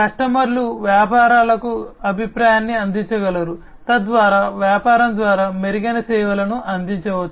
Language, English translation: Telugu, The customers can provide feedback to the businesses, so that the improved services can be offered by the business